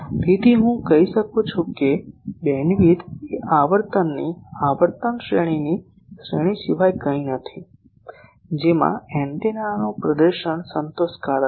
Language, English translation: Gujarati, So, I can say bandwidth is nothing but a range of frequency range of frequency within which the antenna performance is satisfactory